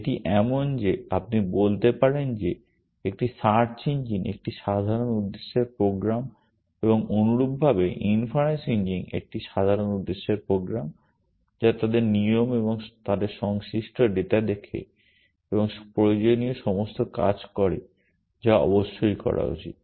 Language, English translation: Bengali, It is like you can say a search engine is a general purpose program and in similar manner inference engine is a general purpose program which looks at their rules and their corresponding data and makes all the actions which are necessary to be done essentially